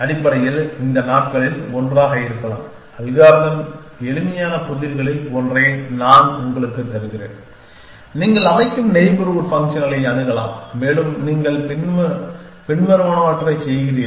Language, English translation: Tamil, Essentially, may be one of these days I will give you one of the puzzles the algorithm is simple that you have access to a set up neighborhood functions and you do the following